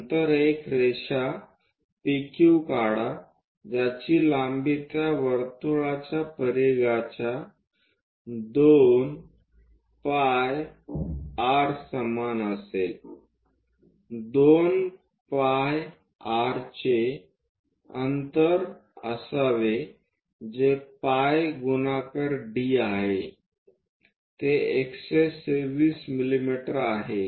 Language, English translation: Marathi, Then draw a line PQ which will have a length equal to the periphery of that circle 2 pi r supposed to be the distance which is pi multiplied by d 126 mm